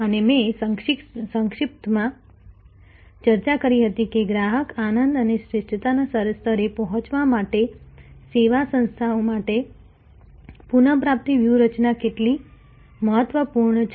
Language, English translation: Gujarati, And I had briefly discussed, that how important the recovery strategy is for a services organization to attend the level of customer delight and excellence